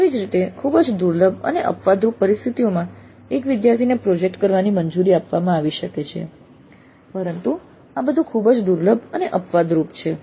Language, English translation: Gujarati, Similarly in a very rare and exceptional situations, a single student may be allowed to do a project but these are all very rare and exceptional